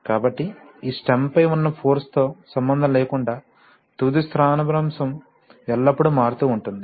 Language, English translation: Telugu, So the final displacement is always invariant irrespective of whatever is the force on this stem